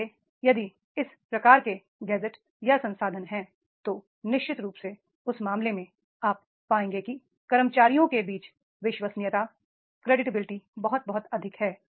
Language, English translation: Hindi, So, therefore if these type of the gazettes or resources are there, then definitely in that case you will find that is the amongst the employees the credibility is very, very high